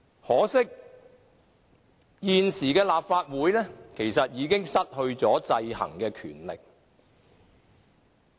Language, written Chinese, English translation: Cantonese, 可惜，現時的立法會已失去了制衡的權力。, Regrettably the Legislative Council has lost its power to exercise checks and balance at present